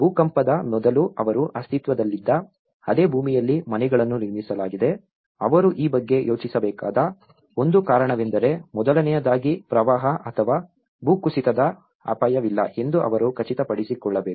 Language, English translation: Kannada, The houses were built on the same land on which they have existed before the earthquakes, one of the reason they have to think about this because first of all, they should make sure that this provided this is not at risk of flooding or landslides